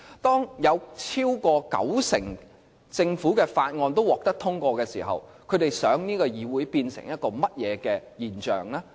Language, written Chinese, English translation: Cantonese, 當有超過九成政府法案都獲得通過時，他們想這個議會變成甚麼現象呢？, The Legislative Council has already given green light to over 90 % of the Government bills . What role do they want this legislature to perform?